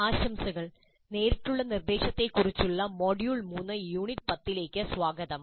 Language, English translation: Malayalam, Greetings, welcome to module 3, unit 10 on direct instruction